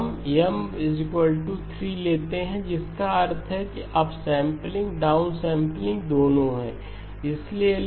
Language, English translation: Hindi, We take M equal to 3 that means up sampling, down sampling both are, so L equal to M equal to 3